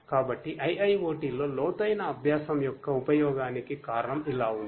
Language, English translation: Telugu, So, the reason for the usefulness of deep learning in IIoT is like this